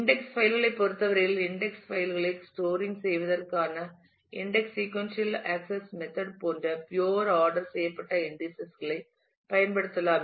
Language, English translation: Tamil, In terms of the index files which would have happened, if we were used pure ordered indices like, the index sequential access method for storing the index files